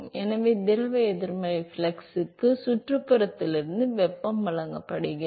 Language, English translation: Tamil, So, heat is being supplied from the surrounding to the fluid negative flux